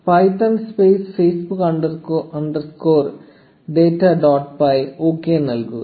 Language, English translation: Malayalam, And python space facebook underscore data dot p y enter